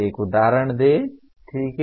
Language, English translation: Hindi, Give an example, okay